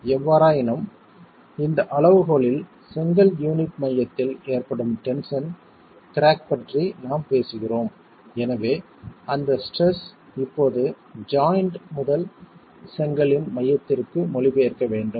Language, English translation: Tamil, However, in this criterion we are talking of tension crack occurring at the center of the brick unit and therefore we must account for the translation of that stress now from the joint to the center of the brick and this is affected by the geometric proportion of the unit itself